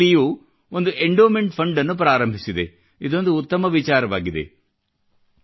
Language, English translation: Kannada, IIT Delhi has initiated an endowment fund, which is a brilliant idea